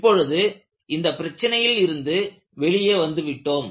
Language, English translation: Tamil, Now, you are able to come out of that problem